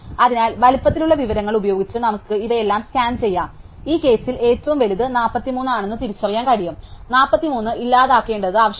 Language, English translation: Malayalam, So, using the size information, we can scan through all of these and identify which is the biggest one in this case it is 43, to be identify the 43 needs to be deleted